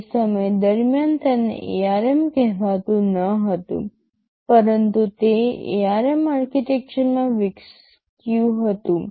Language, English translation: Gujarati, ISo, it was not called armed ARM during that time, but it evolved into the ARM architecture